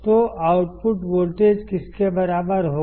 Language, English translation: Hindi, So, what will the output voltage be equal to